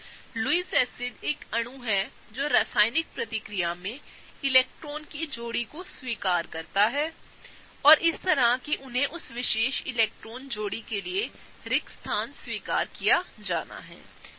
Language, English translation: Hindi, So, Lewis acids are the molecule that accepts a pair of electrons in a chemical reaction, and such that they have the vacancy for that particular electron pair to be accepted